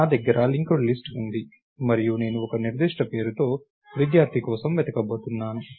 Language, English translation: Telugu, Lets say I I have a linked list and I am going to look for a student by a certain name